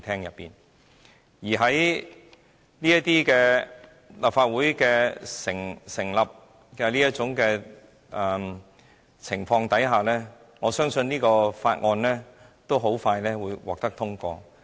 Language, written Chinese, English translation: Cantonese, 在立法會這種組成情況下，我相信《條例草案》很快便會獲得通過。, Under the current composition of the Legislative Council I believe that the Bill will be passed shortly